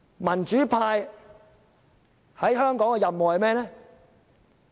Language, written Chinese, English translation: Cantonese, 民主派在香港的任務是甚麼？, What is the mission of the democrats in Hong Kong?